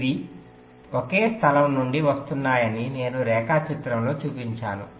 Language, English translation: Telugu, i am shown in the diagram that they are coming from one place